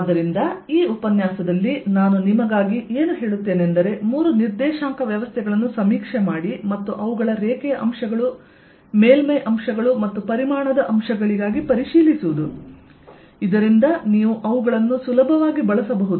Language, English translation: Kannada, so what i'll do in this lecture is just review three coordinate systems for you and their line and surface elements and volume elements, so that you can use them easily